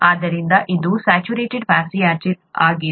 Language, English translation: Kannada, Therefore this is saturated fatty acid